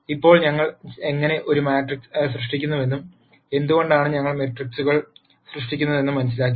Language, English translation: Malayalam, Now that we have understood how we generate a matrix and why we gen erate matrices